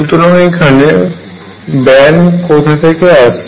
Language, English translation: Bengali, So, where is the band coming in from